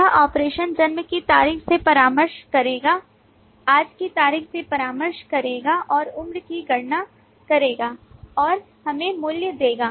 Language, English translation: Hindi, This operation will consult the date of birth, consult the date that is today and based on that, compute the age and give us the value